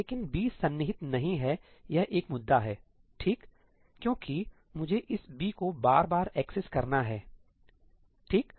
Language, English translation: Hindi, But B not being contiguous is an issue, right, because I have to access this B again and again and again